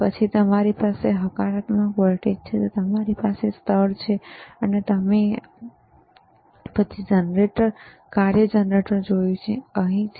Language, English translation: Gujarati, tThen you have positive voltage, you have ground, and then we have seen the function generator which is right over here, and t